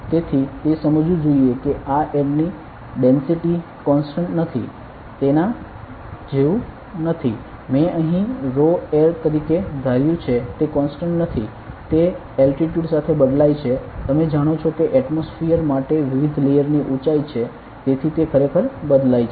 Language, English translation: Gujarati, So, it should be understood that this is not exactly like the density of air is not a constant like; I assumed here as rho air it is not constant it varies with the altitude you know that there are different layer heights for atmosphere so it varies